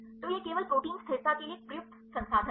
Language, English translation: Hindi, So, it is only a used resource for protein stability